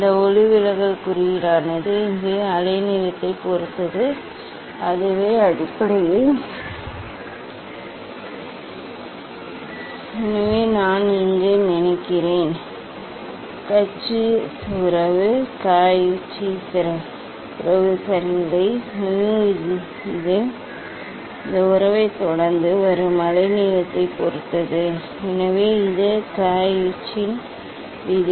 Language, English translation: Tamil, how this dispersive power this refractive index, it depends on the wavelength so that is the basically, so I think here I have not that the Cauchy relation, that the Cauchy relation ok; mu it depends on the wavelength following this relation, so this is the Cauchy s law